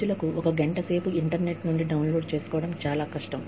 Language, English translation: Telugu, One hour is too difficult for people, to download from the internet